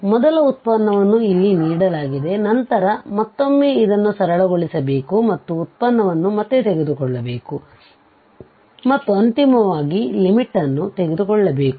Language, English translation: Kannada, So, the first derivative is given here, then once again we have to first simplify this and then take the derivative again and finally take the limit